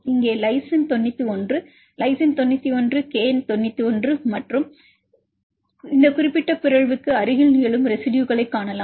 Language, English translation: Tamil, So, we display the mutation you can see the lysine 91 here is the lysine 91, K 91 and see the residues which are occurring near to this particular mutant